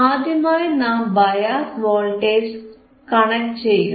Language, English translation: Malayalam, The first is, we are connecting the bias voltage